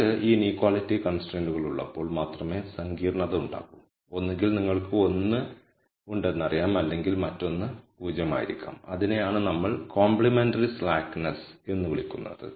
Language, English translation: Malayalam, The only complication comes in when you have these inequality constraints where either you know you have can have one or the other be 0 that is what we call as complementary slackness